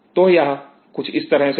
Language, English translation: Hindi, So, it will be something like this